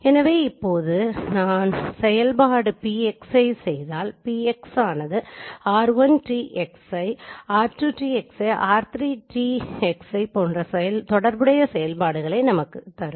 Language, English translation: Tamil, So now if I perform PXY so the operation PXI will give me the corresponding operation will give me R1 transpose xI, then R2 transpose xI and then R3 transpose xI